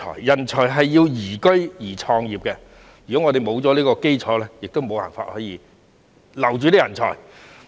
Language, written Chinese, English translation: Cantonese, 人才需要宜居及宜創業的環境，如果沒有這個基礎，我們便無法留住人才。, What talents call for is a liveable environment that facilitates entrepreneurship . Without this foundation we will not be able to retain them